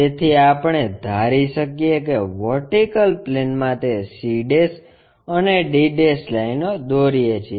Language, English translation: Gujarati, So, we can visualize that in the vertical plane, draw that c' and d' lines